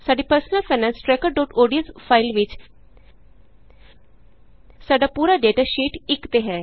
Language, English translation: Punjabi, In our Personal Finance Tracker.ods file, our entire data is on Sheet 1